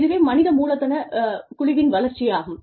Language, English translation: Tamil, Now, that is the development of team human capital